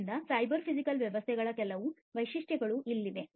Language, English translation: Kannada, So, here are some features of cyber physical systems